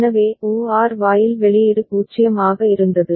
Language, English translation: Tamil, So, then the OR gate output was 0